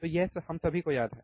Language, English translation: Hindi, So, this we all remember correct